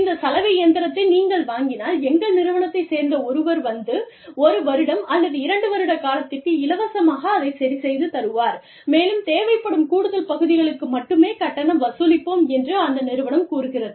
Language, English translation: Tamil, I will, if you buy this washing machine, you will, somebody from our organization, will come and repair it for you, free of cost, for a period of one year, or two years, and will only charge you for the additional parts, that may be required